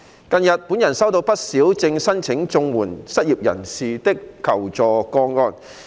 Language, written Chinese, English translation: Cantonese, 近日，本人收到不少正申請綜援失業人士的求助個案。, Recently I have received quite a number of requests for assistance from unemployed persons applying for CSSA